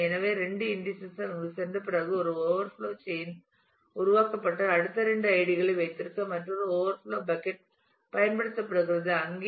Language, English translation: Tamil, So, after the 2 indices have gone in there a overflow chain is created and another overflow bucket is used to keep the next two IDs there